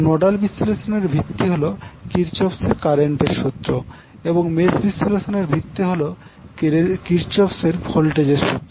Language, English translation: Bengali, So the basis of nodal analysis is Kirchhoff current law and the basis for mesh analysis that is also called as loop analysis is based on Kirchhoff voltage law